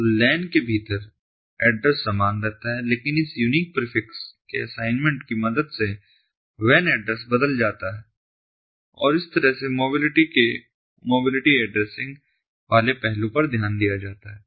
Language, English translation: Hindi, so within the lan the address remains the same but with the help of assignment of this unique prefix, the wan address changes and that is how the mobility addressing ah ah aspect of mobility is taken care of